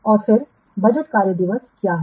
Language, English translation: Hindi, And then what is the budgeted work days